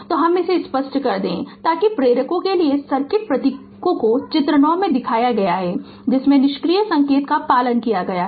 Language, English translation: Hindi, So, let me clear it so the circuit symbols for inductors are shown in figure 9 have following passive sign convention